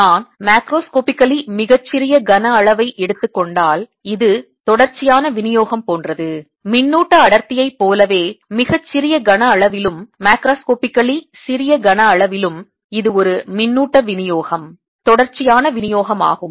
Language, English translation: Tamil, and if i take macroscopically very small volume, there is like a continuous distribution, just like in charge density, also in a very small volume, macroscopically small volume, it's a charge distribution, continuous kind of distribution